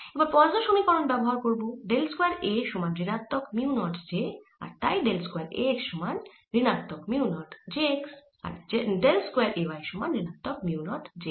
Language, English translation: Bengali, now, using the poisson's equation, del square a equals minus mu naught j and therefore del square a x is minus mu naught j x and del square a y is minus mu naught j y